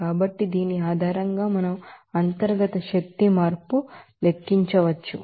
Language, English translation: Telugu, So, based on which we can calculate what internal energy change